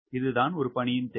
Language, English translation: Tamil, this is requirement